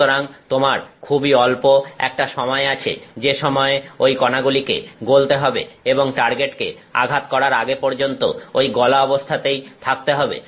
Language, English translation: Bengali, So, you have a very tiny amount of time during which this particle has to melt and stay molten till it hits the target